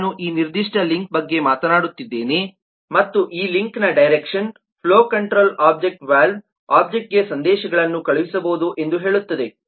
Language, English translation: Kannada, i am talking about this particular link and the direction of this link say that the flow control object can sent messages to the valve object